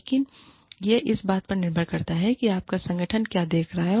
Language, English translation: Hindi, But, it depends on, what your organization is looking for